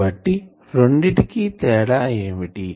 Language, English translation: Telugu, So, what is the difference between this